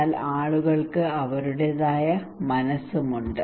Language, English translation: Malayalam, But people have their own mind also